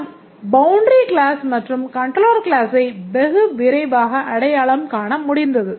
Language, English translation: Tamil, The boundary classes and controller classes are easily identified